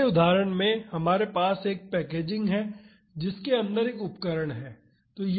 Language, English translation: Hindi, In the next example we have a packaging with an instrument inside it